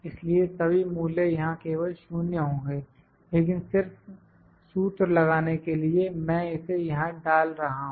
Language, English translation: Hindi, So, all the values would be 0 here only, but just to put the formula, I am putting it here